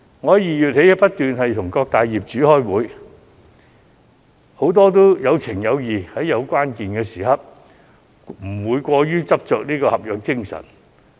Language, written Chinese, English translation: Cantonese, 我自2月起不斷與各大業主開會，很多業主也有情有義，在關鍵時刻不會過於執着合約條款。, I have met with various landlords since February and many of them are so kind that they do not insist on enforcing the original lease terms in this critical period